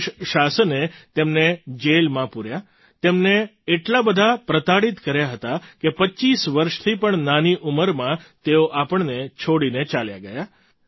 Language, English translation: Gujarati, The British government put him in jail; he was tortured to such an extent that he left us at the age of less than 25years